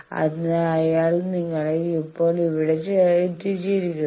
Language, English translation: Malayalam, So, that he has put you here now this fellow